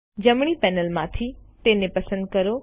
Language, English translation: Gujarati, From the right panel, select it